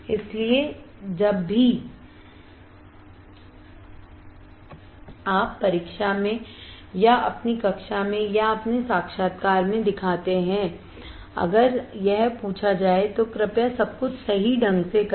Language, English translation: Hindi, So, whenever you show in exam or in your class or in your interview, if it is asked, please plot everything correctly